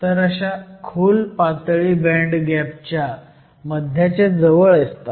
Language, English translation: Marathi, So, deep states are located close to the center of the band gap